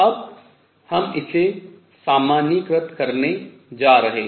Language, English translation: Hindi, We are going to now generalized this